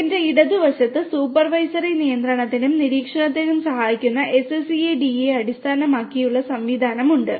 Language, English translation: Malayalam, And on my left is the SCADA based system that can help in the supervisory control and monitoring